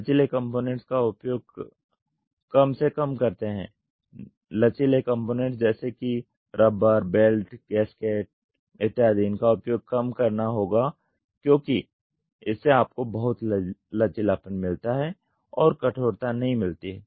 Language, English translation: Hindi, Minimizing the use of flexible components: flexible components including parts made of rubber, belts, gasket so, this has to be reduced because this gives you a lot of flexibility and rigidity will not be there